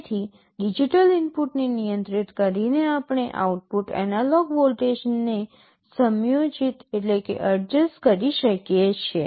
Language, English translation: Gujarati, So, by controlling the digital input we can adjust the output analog voltage